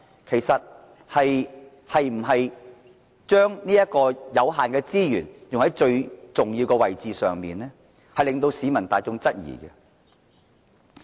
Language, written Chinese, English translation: Cantonese, 其實，政府有否把有限資源用在最重要的位置上呢？這是市民大眾質疑的。, In fact the people are wondering if the Government has spent its limited resources on areas where they are needed most?